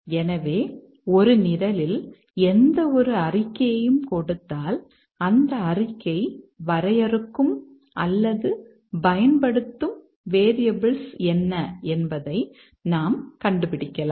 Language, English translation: Tamil, So, given any statement in a program, we can find out what are the variables that the statement defines our users